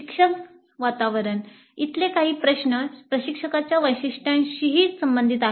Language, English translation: Marathi, Then learning environment, some of the questions here are also related to instructor characteristics